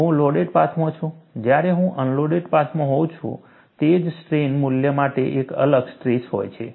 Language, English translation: Gujarati, I am in the loaded path; when I am in the unloaded path, for the same strain value, I have a different stress